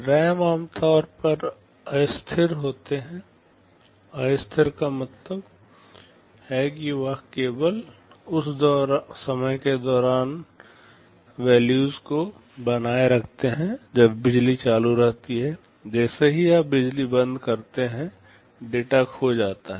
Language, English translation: Hindi, RAM are typically volatile, volatile means they retain the values only during the time the power is switched on, as soon as you switch off the power the data gets lost